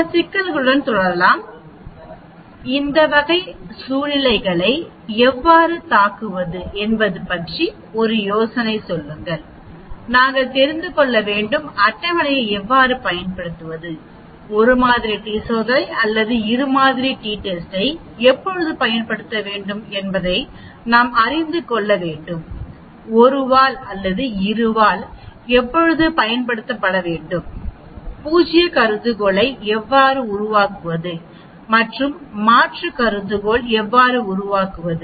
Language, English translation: Tamil, Let us continue with some problems because problems are very very important, problems give you an idea about a how to attack these type of a situations and we need to know how to use the tables, we need to know when to use a 1 sample t test or a 2 sample t test, when to use a 1 tailed or 2 tailed, how to create the a null hypothesis and alternate hypothesis and so on actually